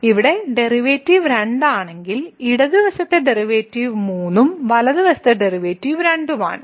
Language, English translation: Malayalam, So, here the derivative is 2 whereas, there the left side derivative is 3 and the right side derivative is 2